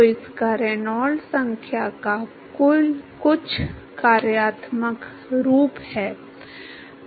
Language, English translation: Hindi, So, it has some functional form of Reynolds number